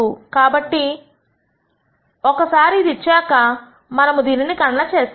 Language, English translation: Telugu, So, this is given this is calculated once this is given